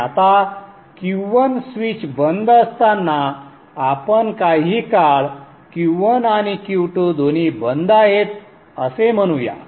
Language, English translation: Marathi, Now when the switch Q1 is off, let us say for this for some time both Q1 and Q2 are off